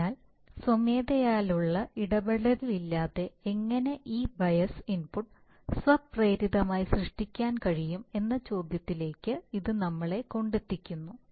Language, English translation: Malayalam, So that brings us to the question that how can we automatically generate this bias input without any manual intervention